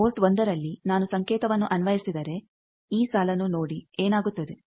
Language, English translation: Kannada, You see that, if I apply signal at port 1 that means, look at this row, what happens